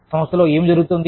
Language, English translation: Telugu, What is going on in the organization